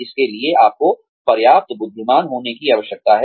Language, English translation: Hindi, So, you need to be intelligent enough